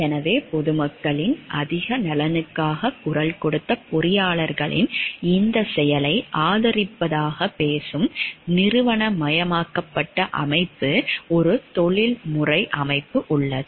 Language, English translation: Tamil, So, there is a professional body which the institutionalized body which talks of the supporting this act of the engineers like they have voiced for the greater interest of the public